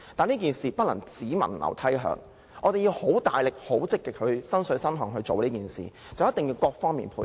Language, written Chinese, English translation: Cantonese, 這件事不能"只聞樓梯響"，我們要很努力、很積極、"身水身汗"去做這件事，並要各方面配合。, This issue cannot remain all talk but no action . We have to try very hard be proactive and sweat blood for it . And the cooperation of different parties is a must